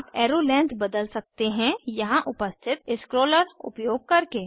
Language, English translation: Hindi, You can change the Arrow length using the scroller here